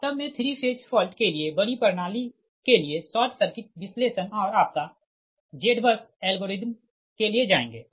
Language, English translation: Hindi, actually for three phase fault, that will go for short circuit analysis for large system and your what you call that, your z bus, z bus algorithm